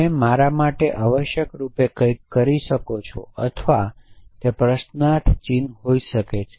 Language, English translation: Gujarati, Can you do something for me essentially or it could be question mark